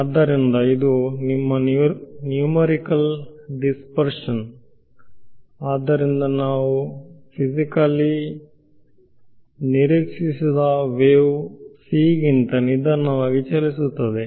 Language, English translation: Kannada, So, this is your numerical dispersion right; so, so the wave travels slower than c which we do not physically expect